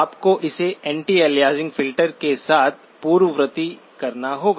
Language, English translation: Hindi, You have to precede it with an anti aliasing filter